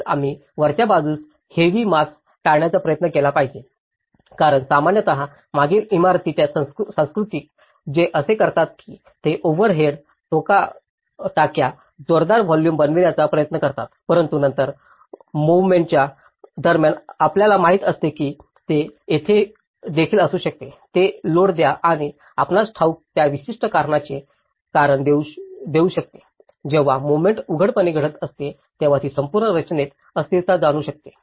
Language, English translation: Marathi, Also, we should try to avoid the heavy mass at the top because normally, in the previous building culture, what they do is they try to build the overhead tanks at a heavy volumes but then during the movement you know that is where it can also give a load and it can also can be a cause of that particular you know, when the movement is happening obviously, it can bring instability in that whole structure